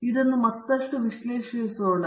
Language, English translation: Kannada, So, letÕs analyze this further